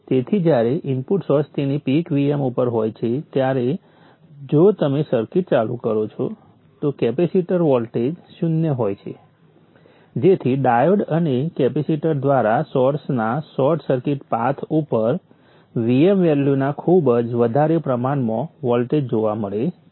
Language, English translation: Gujarati, So when the input source is at its peak VM, you turn on the circuit, capacitor voltage is zero, a huge voltage of VM value is seen across the short circuited path of the source through the diode and the capacitor